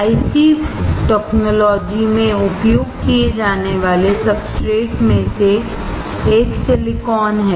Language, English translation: Hindi, One of the substrates that is used in IC technology is Silicon